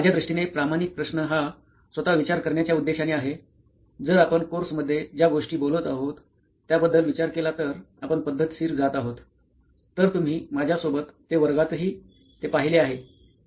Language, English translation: Marathi, So for me the honest question is in design thinking itself if you think about what we have been talking about in the course itself is that we are going through it in a systematic methodic approach, right so you have seen it in my class as well when you were in my class